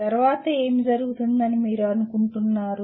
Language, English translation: Telugu, What do you think would happen next …